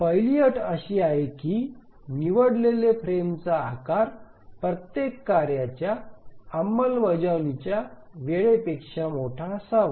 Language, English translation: Marathi, The first consideration is that each frame size must be larger than the execution time of every task